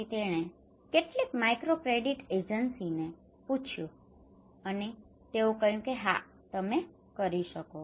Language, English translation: Gujarati, So he called some microcredit agency, and they said okay yes you can